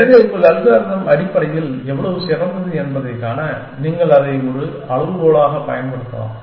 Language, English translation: Tamil, And so you could use that as a benchmark, to see how good your algorithm is essentially